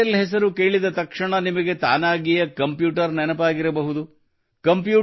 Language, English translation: Kannada, With reference to the name Intel, the computer would have come automatically to your mind